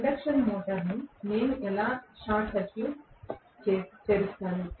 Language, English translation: Telugu, But how will I open circuit the induction motor